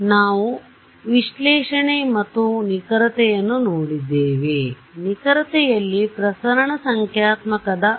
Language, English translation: Kannada, So, we looked at analysis, we looked at accuracy and in accuracy we looked at for example, dispersion numerical